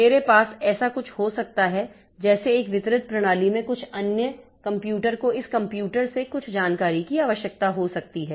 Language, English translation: Hindi, I may have something like, say, in a distributed system, some other computer may be needing some information from this computer